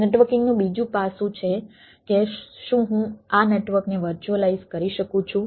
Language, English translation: Gujarati, there is another aspect of networking: that whether i can virtualized this network